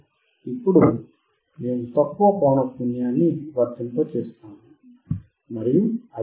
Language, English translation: Telugu, Now we will apply low frequency, and we keep on increasing to the high frequency